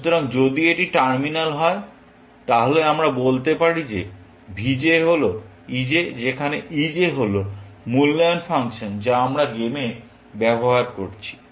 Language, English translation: Bengali, So, if it is terminal, then we can say that v j is e j where, e j is the evaluation function that we are using in the game